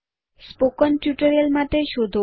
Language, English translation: Gujarati, Search for spoken tutorial